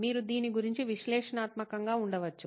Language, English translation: Telugu, You can be analytical about this